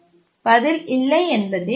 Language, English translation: Tamil, The answer to this question is no